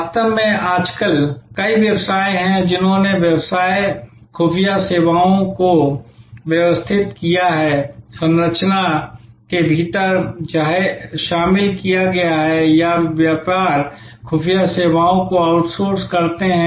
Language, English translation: Hindi, In fact, there is many businesses nowadays have organized business intelligence services, incorporated within the structure or they outsource business intelligence services